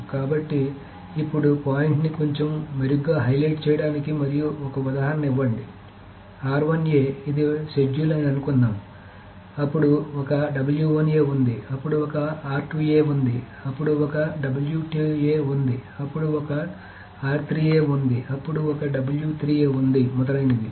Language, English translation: Telugu, So now just to highlight the point a little bit better and just to give an example, suppose this is a schedule is R1A, then there is a W1A, then there is an R2A, then there is a W2A, then there is an R3A, then there is a W3A, etc